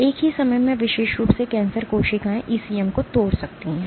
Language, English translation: Hindi, At the same time cancer cells in particular can degrade or remodel the ECM